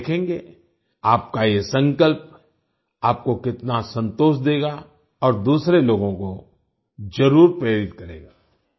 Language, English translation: Hindi, You will see, how much satisfaction your resolution will give you, and also inspire other people